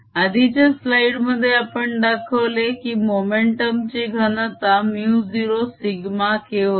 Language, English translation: Marathi, we saw in the previous slide that the momentum density was mu zero sigma k